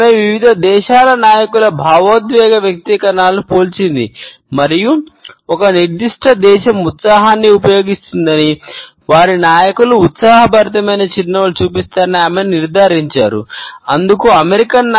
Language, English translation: Telugu, She had compared the emotional expressions of leaders across different nations and has concluded that the more a particular nation will use excitement, the more their leaders show excited smiles and she has quoted the examples of the American leaders